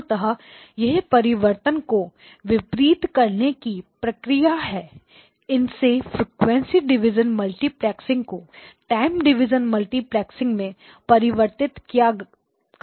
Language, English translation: Hindi, So this operation basically does the reverse of a conversion it does the frequency division multiplexing back to time division multiplexing